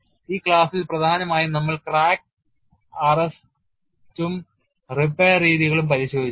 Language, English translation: Malayalam, And in this class essentially we looked at crack arrest and repair methodologies